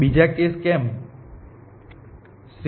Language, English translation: Gujarati, why is other case